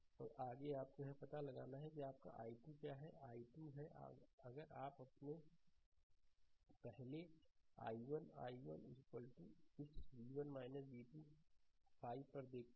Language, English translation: Hindi, And next is you have to find out what is your i 2; i 2 is if you look into your first i 1 i 1 is equal to this v 1 minus v 2 upon 5, right